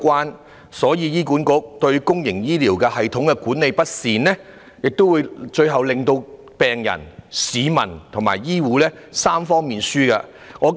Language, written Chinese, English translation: Cantonese, 由此可見，倘若醫管局對公營醫療系統管理不善，最終只會令病人、市民及醫護界3方面均成為輸家。, This tells us one thing Mismanagement of the public healthcare system by HA will ultimately make all three parties the victims